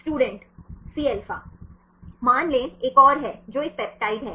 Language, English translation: Hindi, Cα Say another one that is a peptide one